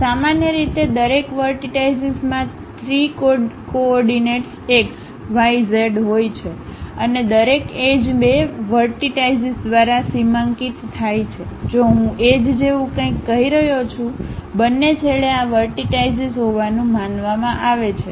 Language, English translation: Gujarati, Usually, each vertex has 3 coordinates x, y, z and each edge is delimited by two vertices; if I am saying something like edge; both the ends supposed to have these vertices